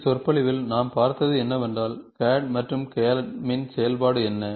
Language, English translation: Tamil, In this lecture, what all we saw was, in a entire CAD, we saw what is the function of CAD, CAM